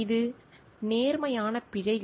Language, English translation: Tamil, It is honest errors